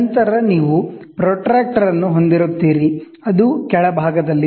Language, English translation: Kannada, So, then you will have a protractor, which is at the bottom